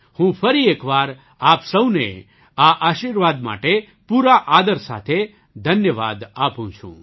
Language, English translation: Gujarati, I once again thank you all with all due respects for this blessing